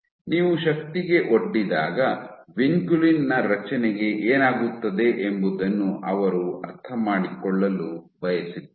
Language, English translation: Kannada, So, they wanted to understand what happens to the structure of vinculin when you expose it to force